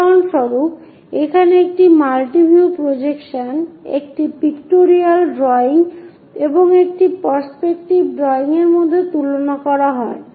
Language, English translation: Bengali, For example, here a multi view projection a pictorial drawing and a perspective drawing are compared